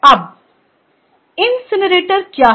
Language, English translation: Hindi, now, what is an incinerator